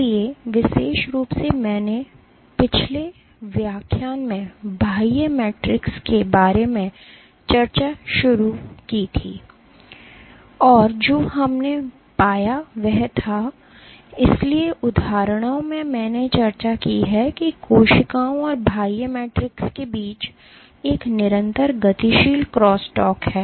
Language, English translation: Hindi, So, in particular I started discussing about the extracellular matrix in the last lecture, and what we found was, so, there is a in the examples I had discussed I showed that there is a continuous dynamic crosstalk between cells and the extracellular matrix